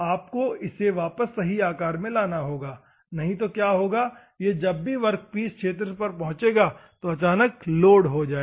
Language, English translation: Hindi, You have to bring to a true shape, otherwise what will happen if this sector whenever it reaches the workpiece, what will happen, the sudden load will occur